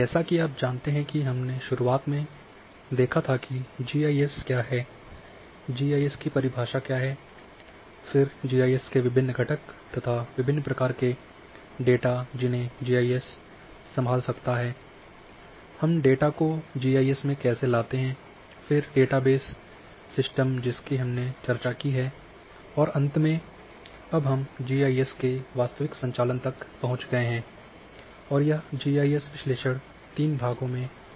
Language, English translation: Hindi, As you know that we started with the first what is GIS definition of GIS and then different components of GIS, different types of data which GIS can handle, how we bring data into GIS, then data base system which we have also discussed and finally, now we have reach to the real operation of GIS and this is in three parts and the GIS analysis